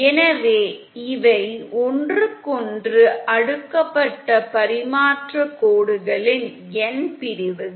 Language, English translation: Tamil, So these are n sections of transmission lines cascaded with each other